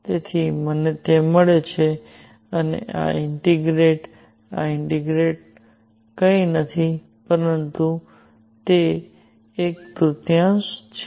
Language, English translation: Gujarati, So, I get and this integral this integral is nothing, but one third